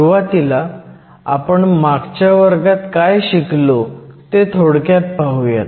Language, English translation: Marathi, Let us start with the brief review of last class